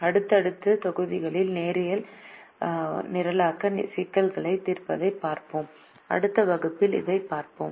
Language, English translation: Tamil, in the subsequent module we will look at solving linear programming problems, and we will look at that in the next class